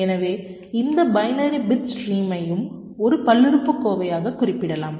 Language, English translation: Tamil, ok, so any binary bit stream can be represented as a polynomial